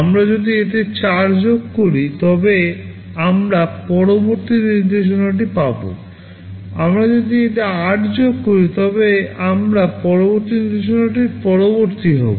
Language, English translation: Bengali, If we add 4 to it, we will be getting the next instruction; if we add 8 to it, we will be the next to next instruction